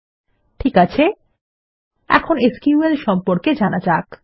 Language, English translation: Bengali, Okay, now let us learn about SQL